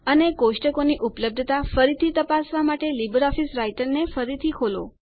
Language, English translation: Gujarati, And reopen LibreOffice Writer to check the tables availability again